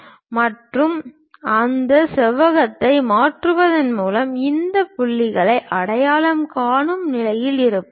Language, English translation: Tamil, So, transfer that rectangle so that we will be in a position to identify these points